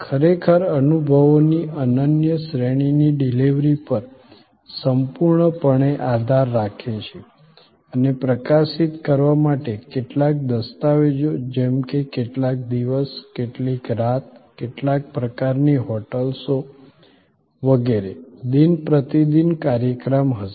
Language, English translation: Gujarati, Really depended totally on delivery of unique series of experiences and to highlight, there will be some documentation like how many days, how many nights, which kind of hotels and so on, program day by day